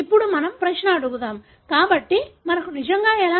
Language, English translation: Telugu, Now let us ask the question, so how do we really know